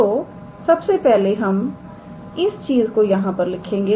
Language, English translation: Hindi, So, first of all we will write this thing here